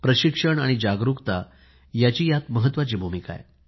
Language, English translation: Marathi, Training and awareness have a very important role to play